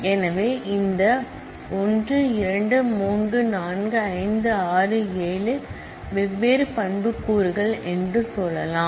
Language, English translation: Tamil, So, let us say these 1 2 3 4 5 6 7 are the different attributes